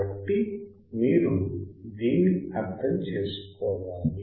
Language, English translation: Telugu, So, if you understand this